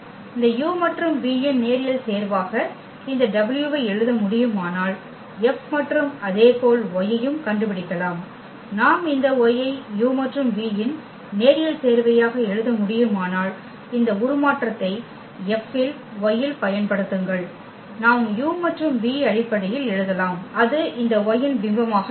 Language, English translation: Tamil, If we can if we can write this w as a linear combination of this u and v then we can also find out the F and similarly with y also if we can write down this y as a linear combination of u and v, then we can apply this transformation F on y and we can write down in terms of u and v and that will be the image of this y